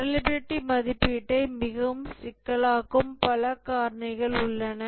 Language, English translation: Tamil, There are several other factors which make the reliability evaluation much more complicated